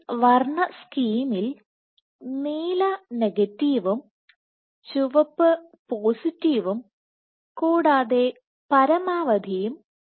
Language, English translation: Malayalam, So, in this case in this colour scheme, blue is negative red is positive and max